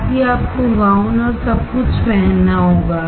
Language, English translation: Hindi, Also, you have to wear the gown and everything